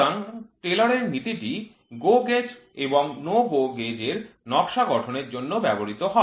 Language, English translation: Bengali, So, Taylor’s principle is used for designing GO gauge and NO GO gauge